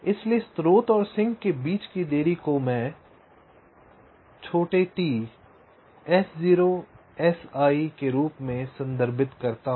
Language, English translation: Hindi, so the delay between the source and the sink i refer to as t s zero, s i